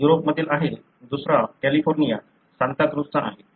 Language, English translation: Marathi, This is from Europe, the other one is from California, Santacruz